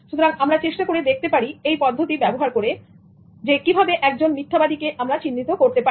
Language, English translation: Bengali, So, using this method, we try to see how you can identify a liar